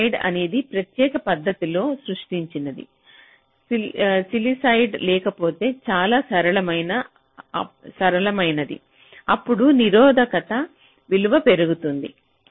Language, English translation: Telugu, sillicided is a special way of creating, but if there is no sillicide, which is much simpler, then the resistance value increases, ok